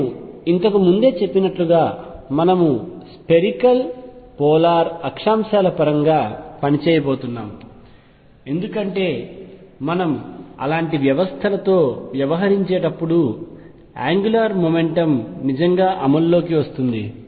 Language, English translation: Telugu, But as I said earlier we are going to work in terms of spherical polar coordinates because angular momentum really comes into play when we are dealing with such systems